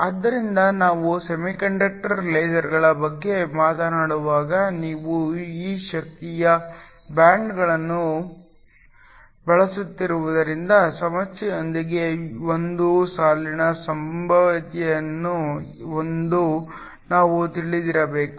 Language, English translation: Kannada, So, when we talk about semiconductor lasers we have to be aware that because you are using energy bands there is a potential for a line with issue